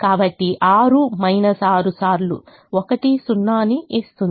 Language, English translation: Telugu, so six minus six times one is zero